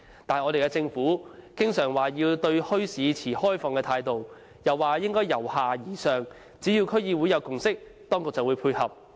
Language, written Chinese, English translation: Cantonese, 反觀我們的政府經常說對墟市持開放態度，又說應該由下而上，只要區議會有共識，當局就會配合。, On the contrary our Government keeps saying that it adopts an open attitude towards the establishment of bazaars and a bottom - up approach should be adopted ie . as long as the relevant District Councils have a consensus the Government will facilitate